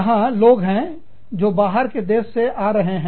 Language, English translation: Hindi, There are people, who are coming from, other countries